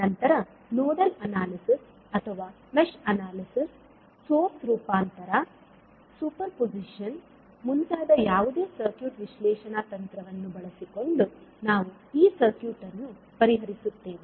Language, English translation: Kannada, And then we solve this circuit laplace using any circuit analysis technique that maybe nodal analysis or mesh analysis, source transformation superposition and so on